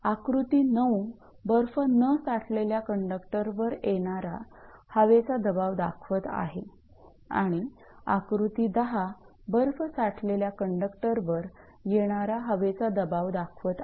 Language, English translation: Marathi, So, figure 9 actually shows the force of wind on conductor covered without ice, and figure 10 it shows that your wind and conductor covered with ice right